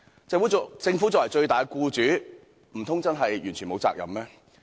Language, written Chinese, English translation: Cantonese, 政府作為最大的僱主，難道真的完全沒有責任嗎？, As the largest employer could it be possible that the Government really has no responsibility at all?